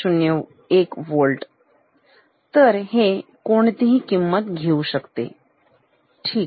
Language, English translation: Marathi, 001 Volt; so, it can take any value, ok